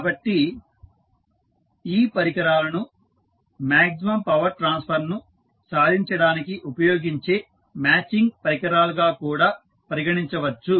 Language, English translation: Telugu, So, these devices can also be regarded as matching devices used to attain maximum power transfer